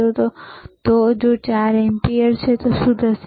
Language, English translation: Gujarati, If it is 4 ampere, what will happen